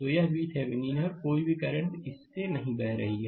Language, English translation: Hindi, So, it is V Thevenin and it no current is flowing through this